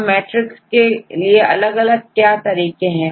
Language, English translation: Hindi, Now, these are matrices